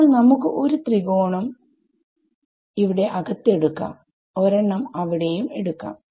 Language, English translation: Malayalam, So, let us take 1 triangle over here inside like this and 1 triangle over here inside ok